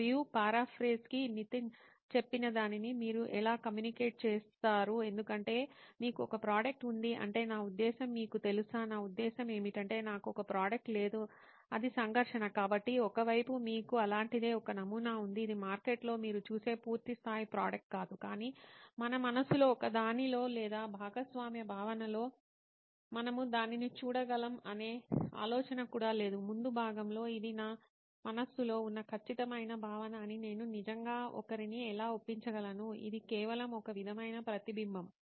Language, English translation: Telugu, And to para phrase what Nitin said how do you communicate the concept because you have a product I mean you do have I know what do you mean by I do not have a product it is a conflict, so on the one hand you have something like a prototype it is not a full fledge product like you would see in the market, you pick it up of the shelf it is not that, but neither is it an idea that in one of our heads or in shared concept, we can see it in the front, so how do I really convince somebody that this is the exact concept I have in my mind, this is just a sort of reflection of that